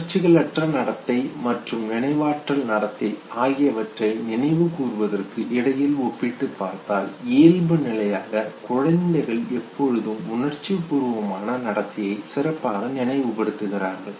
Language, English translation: Tamil, Or if you compare between recollection of a non emotional behavior verses emotional behavior children by default will always have a better recall of emotional behavior